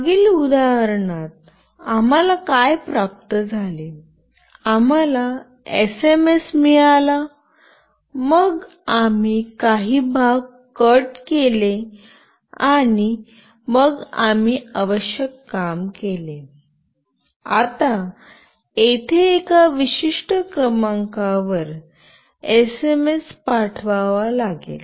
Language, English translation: Marathi, We received the SMS, then we cut out some part and then we did the needful, now here we have to send the SMS to a particular number